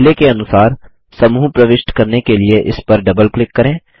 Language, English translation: Hindi, As before, double click on it to enter the group